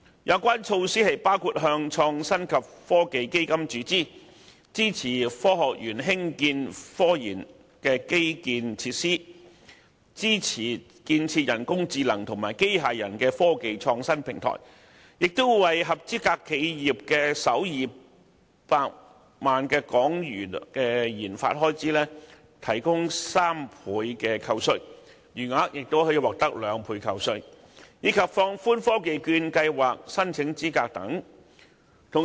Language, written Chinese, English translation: Cantonese, 有關措施包括向創新及科技基金注資；支持科學園興建科研基建及設施；支持建設人工智能和機械人科技創新平台；為合資格企業的首200萬港元研發開支，提供3倍扣稅，餘額亦可獲得兩倍扣稅，以及放寬科技券計劃申請資格等。, The measures include injecting money into the Innovation and Technology Fund; supporting the Science Parks construction of research - related infrastructure and facilities; supporting the establishment of research cluster on artificial intelligence and robotics technologies; granting eligible enterprises a 300 % tax deduction for the first 2 million RD expenditure and a 200 % deduction for the remainder and also relaxing the eligibility criteria for the Technology Voucher Programme . The Inland Revenue Amendment No